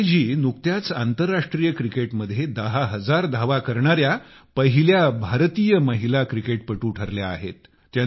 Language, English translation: Marathi, Recently MitaaliRaaj ji has become the first Indian woman cricketer to have made ten thousand runs